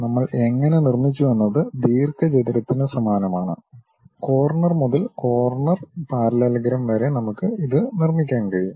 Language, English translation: Malayalam, You similar to rectangle how corner to corner we have constructed, corner to corner parallelogram also we can construct it